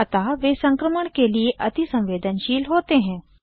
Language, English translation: Hindi, So, they are susceptible to infections